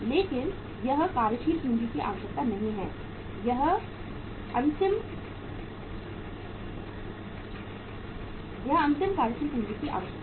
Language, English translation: Hindi, But this is not the working capital requirement, final working capital requirement